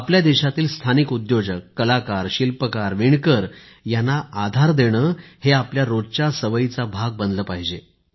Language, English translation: Marathi, Supporting local entrepreneurs, artists, craftsmen, weavers should come naturally to us